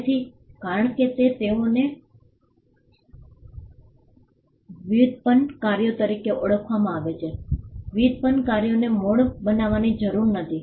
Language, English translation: Gujarati, So, because they are regarded as derivative works derivative works do not need to be original